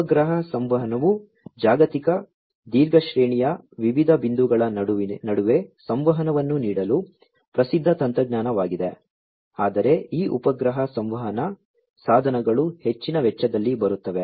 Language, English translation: Kannada, Satellite Communication is a well known technology, for offering global, long range, communication between different points, but these satellite communication devices come at higher cost